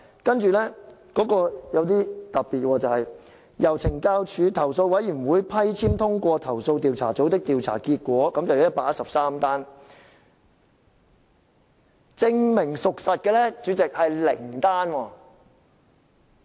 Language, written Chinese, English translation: Cantonese, 不過，有一點很特別，就是由懲教署投訴委員會批簽通過投訴調查組的調查結果有113宗，但證明屬實的是零宗。, However there is something very special . Among the 113 cases in which the findings of CIU investigation were endorsed by the Correctional Services Department Complaints Committee none was substantiated